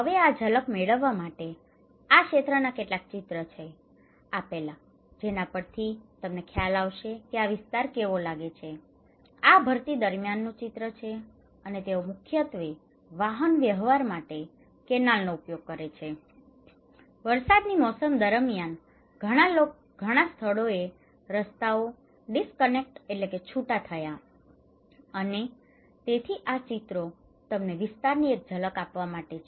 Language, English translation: Gujarati, Now, these are some of the pictures of the area to get a glimpse; get an idea that how this area looks like, this is during high tide, and they have use canal for transportations mainly, many places the roads are disconnected and during the rainy season, so this is really to give you a glance of the area